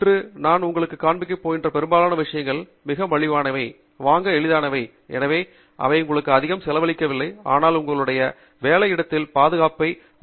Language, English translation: Tamil, And most of the things that I am going to show you today are things that are very cheap, very easy to buy, and therefore, they donÕt cost you much, but they greatly enhance the safety for you in your work place